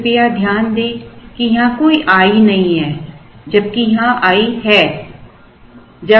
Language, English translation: Hindi, Please note, that there is no i here whereas there is an i here